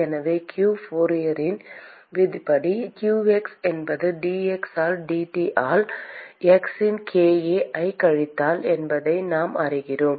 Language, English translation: Tamil, So, q from Fourier’s law we know that qx is minus k Ac of x into dT by dx